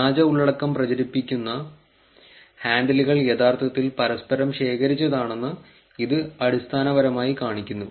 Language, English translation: Malayalam, This basically shows that the handles which are propagating fake content are actually collected among themselves also